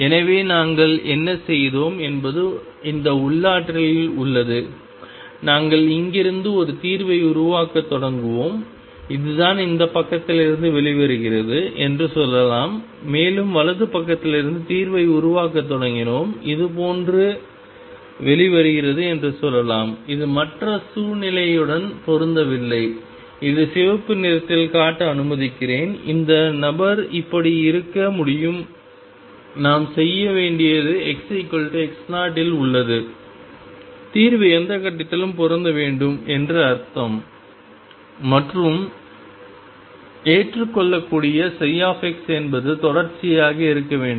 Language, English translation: Tamil, So, what I have we done what we have done is in this potential, we will started a building up a solution from here, let us say this is what comes out from this side and we started building up the solution from the right side and let us say this comes out like this it need not match the other situation could be that let me show it in red this fellow could be like this what we should do is at x equals x naught the solution should match what does that mean at any point what do we have for the acceptable solution psi x is continuous; that means, psi x equals x 0 from left should be equal to psi x equals x 0 from right and number 2 psi prime x is continuous